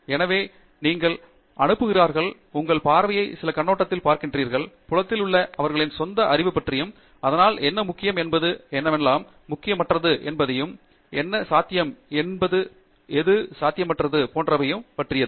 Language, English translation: Tamil, So, they send, they look at your paper from some perspective, their own knowledge of the field and so on, their idea of what is important and what is not important in that area, their idea of what is possible, not possible, etcetera